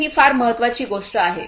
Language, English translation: Marathi, So, this is something very important